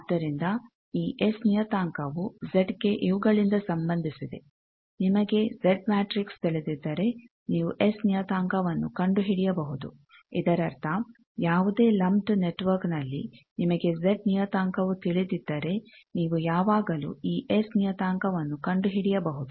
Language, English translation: Kannada, So, this S parameter is related to Z by these, if you know Z matrix you can find S parameter so that means, any lumped network if you know Z parameter you can always find this S parameter